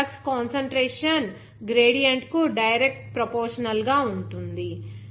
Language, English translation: Telugu, Now, that flux is directly proportional to that concentration gradient